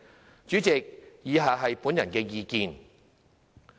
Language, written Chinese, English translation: Cantonese, 代理主席，以下是本人的意見。, Deputy President I will give my views as follows